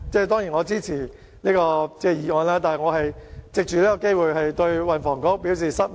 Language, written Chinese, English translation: Cantonese, 當然，我是支持這項議案的，但我想藉此機會對運輸及房屋局表示失望。, Certainly I support the motion . Yet I wish to take this opportunity to express my disappointment with the Transport and Housing Bureau